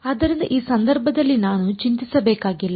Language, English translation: Kannada, So, in this case I do not have to worry about